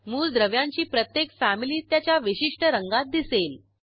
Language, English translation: Marathi, Each Family of elements appear in a specific Family color